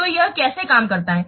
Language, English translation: Hindi, So because why we are doing this